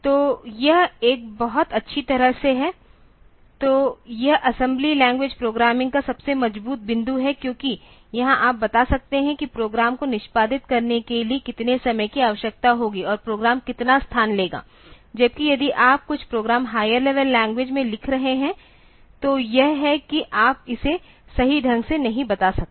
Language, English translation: Hindi, So, that is a very well; so, that is the very strong point of assembly language programming because here you can you can tell exactly how much time will be needed for executive the program and how much space the program will take whereas, if you are writing some program in high level language; so, it is you cannot tell it correctly